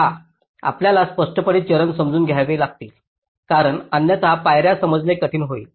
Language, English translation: Marathi, see, you have to clearly understand the steps ah, because otherwise it will be difficult for to understand the steps